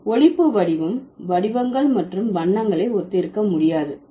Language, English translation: Tamil, The phonetic form cannot possibly resemble the shapes and colors